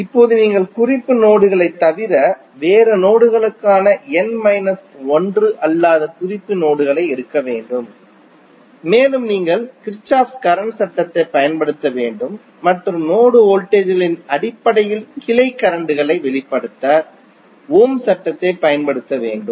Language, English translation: Tamil, Now, you have to take n minus 1 non reference nodes that is the nodes which are other than the reference nodes and you have to apply Kirchhoff Current Law and use Ohm's law to express the branch currents in terms of node voltages